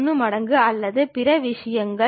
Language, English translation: Tamil, 1 times of that or other things